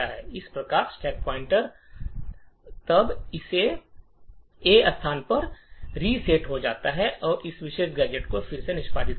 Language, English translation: Hindi, Thus, the stack pointer is then reset to this A location and re executes this particular gadget